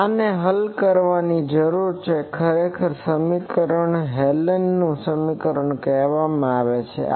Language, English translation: Gujarati, So, this needs to be solved actually this equation is called Hallen’s equation